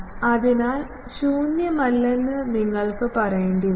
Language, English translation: Malayalam, So, you will have to say that null is not there